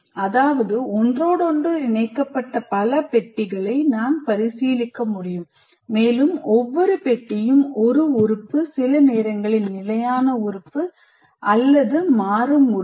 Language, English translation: Tamil, That means I can consider several boxes which are interconnected and each box is an element, sometimes a static element or a dynamic element